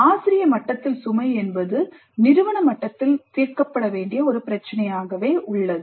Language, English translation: Tamil, Load on the faculty remains an issue to be resolved at the institute level